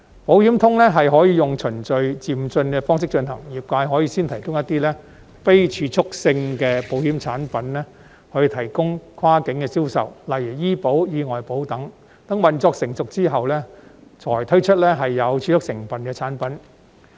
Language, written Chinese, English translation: Cantonese, "保險通"可以用循序漸進的方式進行，業界可以先提供一些非儲蓄性的保險產品作跨境銷售，例如醫保、意外保等，待運作成熟後才推出具儲蓄成分的產品。, The Insurance Connect may be implemented in a step - by - step manner . The industry may first offer some insurance products of non - saving nature eg . health insurance accident insurance etc for cross - boundary sale followed by products having saving elements when the operation matures